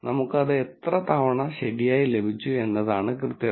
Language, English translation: Malayalam, So, the accuracy is the number of times we got it right